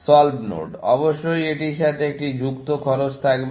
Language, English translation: Bengali, Solved nodes, of course, would have an associated cost with it